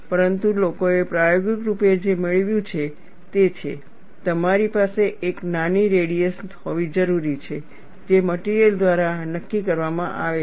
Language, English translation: Gujarati, But what people have experimentally obtained is, you need to have a smaller radius which is dictated by the material